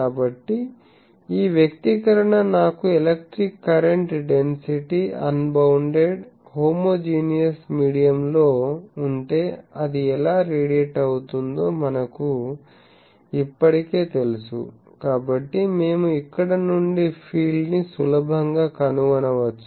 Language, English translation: Telugu, So, this expression we know already if I have a current density electric, current density in an unbounded homogeneous medium how it radiates, so we can easily find the field from here